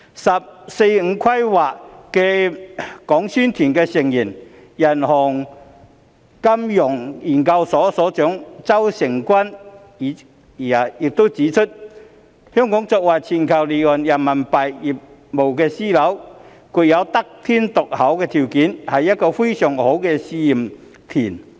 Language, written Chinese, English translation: Cantonese, "十四五"規劃的宣講團成員、中國人民銀行金融研究所所長周誠君亦指出，香港作為全球離岸人民幣業務樞紐，具有得天獨厚的條件，是一個非常好的試驗田。, ZHOU Chengjun Director of the Finance Research Institute of the Peoples Bank of China PBoC and member of the Publicity Delegation for the 14th Five - Year Plan has also pointed out that Hong Kong being a global offshore RMB business hub possessing overwhelming advantages is a very good testing ground